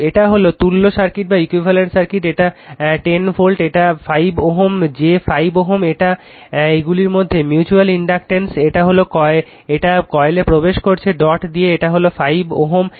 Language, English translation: Bengali, So, this is the equivalent circuit right, this 10 volt, this thing 5 ohm j 5 ohm, this mutual inductance between, this one is entering the dot in the coil another is leaving the dot and this is 5 ohm